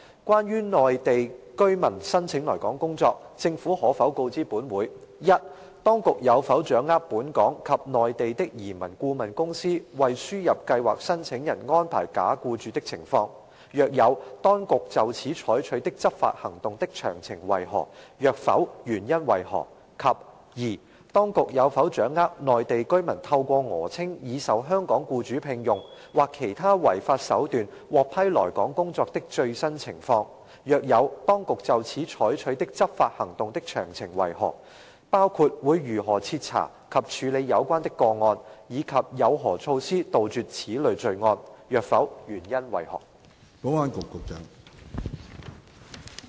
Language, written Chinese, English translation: Cantonese, 關於內地居民申請來港工作，政府可否告知本會：一當局有否掌握本港及內地的移民顧問公司為輸入計劃申請人安排假僱主的情況；若有，當局就此採取的執法行動的詳情為何；若否，原因為何；及二當局有否掌握內地居民透過訛稱已受香港僱主聘用，或其他違法手段獲批來港工作的最新情況；若有，當局就此採取的執法行動的詳情為何，包括會如何徹查及處理有關的個案，以及有何措施杜絕此類罪案；若否，原因為何？, Regarding the applications from Mainland residents for coming to work in Hong Kong will the Government inform this Council 1 whether the authorities have grasped the situation of Hong Kong and Mainland immigration consultants arranging nominal employers for ASMTP applicants; if so of the details of the law enforcement actions taken in this regard by the authorities; if not the reasons for that; and 2 whether the authorities have grasped the latest situation of Mainland residents obtaining approval to come to work in Hong Kong by falsely claiming that they have already got an offer of employment from a Hong Kong employer or by other illegal means; if so of the details of the law enforcement actions taken in this regard by the authorities including how such cases will be thoroughly investigated and handled as well as the measures to eradicate such kind of crimes; if not the reasons for that?